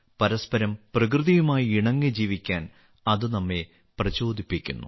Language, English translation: Malayalam, They inspire us to live in harmony with each other and with nature